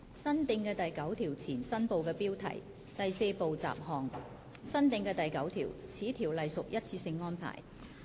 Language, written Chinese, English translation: Cantonese, 新訂的第9條前第4部雜項新部的標題新訂的第9條此條例屬一次性安排。, New Part heading before new clause 9 Part 4 Miscellaneous New clause 9 This Ordinance as a one - off arrangement